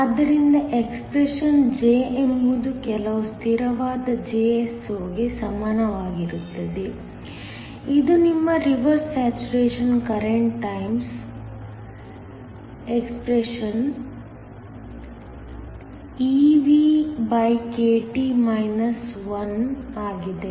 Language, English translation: Kannada, So, the expression is J is equal to some constant Jso, which is your reverse saturation current times expeVkT 1